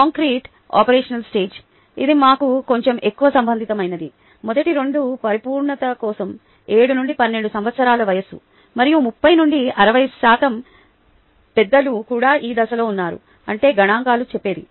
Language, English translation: Telugu, concrete operational stage: this is a little more relevant to us if, as to were so for completeness, seven to twelve years of age and thirty to sixty percent of adults are also in this phase